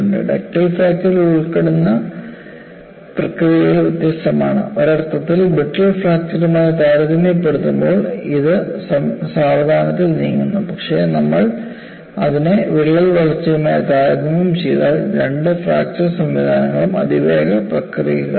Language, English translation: Malayalam, The processes involved in ductile fracture are different and in a sense, it move slowly in comparison to brittle fracture, but if we compare it with crack growth both the fracture mechanisms are ultra fast processes